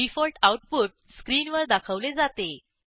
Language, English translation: Marathi, The default output is displayed on the screen